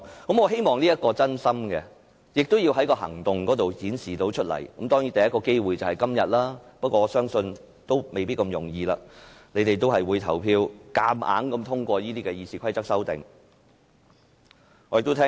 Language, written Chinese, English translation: Cantonese, 我希望他們是真心的，並會透過行動表現出來，而第一個機會就是今天，但我相信不會這麼容易，他們應該會投票強行通過《議事規則》的修訂。, I hope they mean what they say and will show their sincerity through actions . They have the first chance today but I think the situation will be a bit difficult as they will probably vote in support of the amendments to RoP